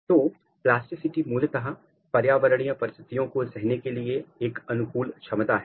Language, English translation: Hindi, So, the plasticity is basically an adaptability to prevailing environmental condition